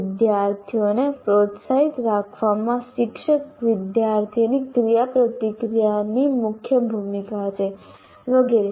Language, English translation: Gujarati, And the teacher student interaction has a major role to play in keeping the students motivated and so on